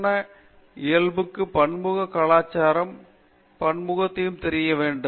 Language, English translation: Tamil, So, they need to, you know the complex nature of our country in terms of it is multiculturalism and multilingualism